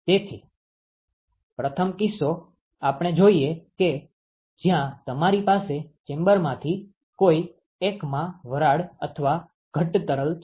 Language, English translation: Gujarati, So, the first case we look at where you have condensing steam or condensing fluid in one of the chambers